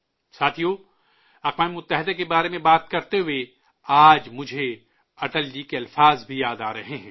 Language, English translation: Urdu, today while talking about the United Nations I'm also remembering the words of Atal ji